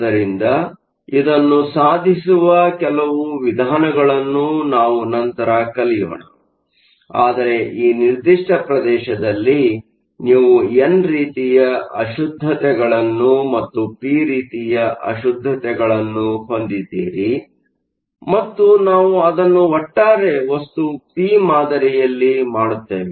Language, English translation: Kannada, So, we will see later that there are certain ways of doing, but in this particular region you have both n type impurities and both p type impurities and we do it in such a way that the overall material is p type